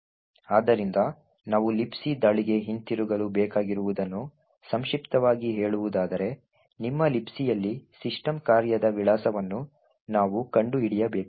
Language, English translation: Kannada, So to summarize what we need to mount a return to LibC attack is as follows, we need to find the address of the system function in your LibC